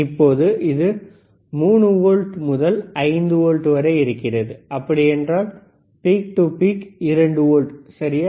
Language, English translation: Tamil, Now, the it is from 3 volts to 5 volts, so, only 2 volts peak to peak ok